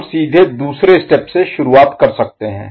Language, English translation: Hindi, We can straight away start from second step